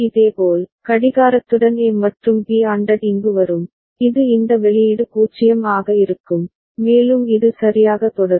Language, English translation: Tamil, Similarly, the A and B ANDed with the clock will come here, and this is this output will be 0 and so on, and it will continue right